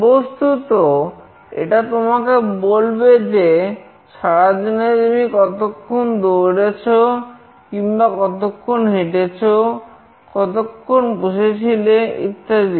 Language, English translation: Bengali, Basically it will tell you that in a day how much time you have run or how much time you have walked, how much time you are sitting and so on